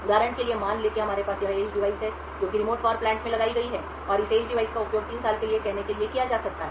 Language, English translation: Hindi, For example, let us say that we have this edge device which is a put in a remote power plant and this edge device is expected to be used for say let us say for 3 years